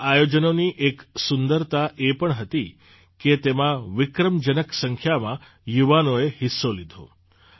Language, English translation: Gujarati, The beauty of these events has been that a record number of youth participated them